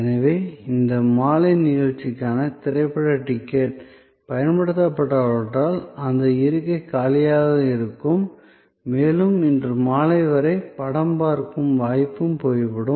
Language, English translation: Tamil, So, a movie ticket for this evening show, if not utilized that seat will be vacant and that opportunity for seeing the movie will be gone as far as this evening is concerned